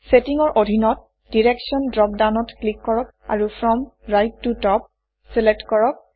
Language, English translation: Assamese, Under Settings, click the Direction drop down and select From right to top